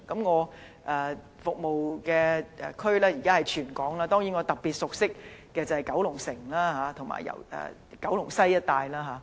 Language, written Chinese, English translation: Cantonese, 我現時服務的地區是全港，當然我特別熟悉的是九龍城及九龍西一帶。, Although I am now serving all districts in Hong Kong I am definitely more familiar with Kowloon City and Kowloon West